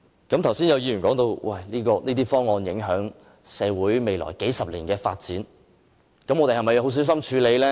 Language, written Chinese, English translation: Cantonese, 剛才有議員提到這些方案會影響社會未來數十年的發展，這樣我們是否需要很小心處理呢？, Some Members have said just now that these proposals would affect the development of society for the next few decades . So should we need to deal with them carefully?